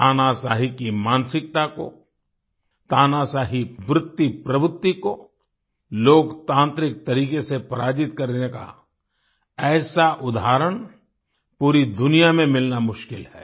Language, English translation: Hindi, It is difficult to find such an example of defeating a dictatorial mindset, a dictatorial tendency in a democratic way, in the whole world